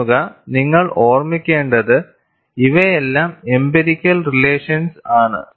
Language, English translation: Malayalam, See, you have to keep in mind, these are all empirical relations